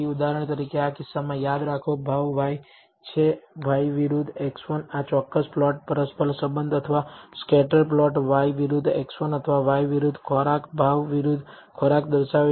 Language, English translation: Gujarati, For example, in this case remember price is y, y versus x 1 this particular plot shows the correlation or the scatter plot for y versus x 1 or y versus food, price versus food